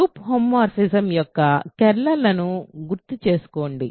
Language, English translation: Telugu, So, recall the kernel of a group homomorphism